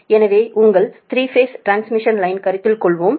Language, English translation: Tamil, so will consider your three phase transmission line right